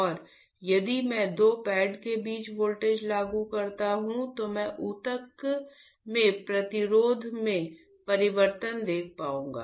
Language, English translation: Hindi, And, if I apply a voltage between two pads I would be able to see the change in resistance of the tissue